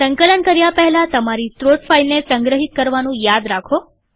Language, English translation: Gujarati, Remember to save the source file before compiling